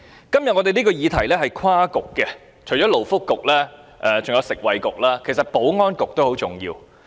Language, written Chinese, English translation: Cantonese, 今天這個議題涉及多個政策局，除了勞工及福利局，還有食物及衞生局，但其實保安局也很重要。, The subject under discussion today actually involves different bureaux . Apart from the Labour and Welfare Bureau and the Food and Health Bureau the Security Bureau has an important part to play too